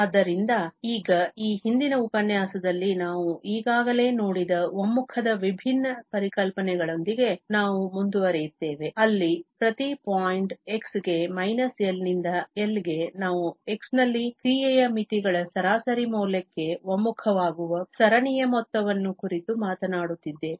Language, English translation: Kannada, So, now, we will continue with the different notions of convergence, the first one which we have already seen in this previous lecture, where for each point x in the interval minus L to L, we were talking about the sum of the series converging to this average value of the limits of the function at x